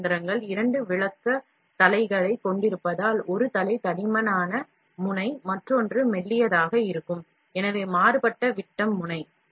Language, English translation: Tamil, Since most FDM machines have two extrusion heads, it is possible that one head could be of a thicker nozzle, the other one thinner, so varying diameter nozzle